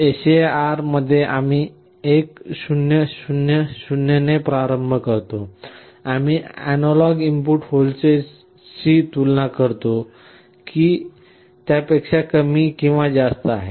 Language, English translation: Marathi, In the SAR we start with 1 0 0 0, we compare with the analog input voltage whether it is less than or greater than